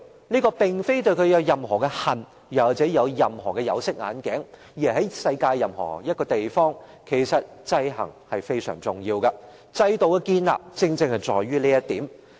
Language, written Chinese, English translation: Cantonese, 這並非對政權有任何的恨或對它戴上有色眼鏡，而是在世界上任何地方，制衡也是非常重要的，制度的建立正正是基於這一點。, This is not any grudge or prejudice against a political regime . In fact checks and balances are crucial to any place in the world . The establishment of systems is precisely based on this point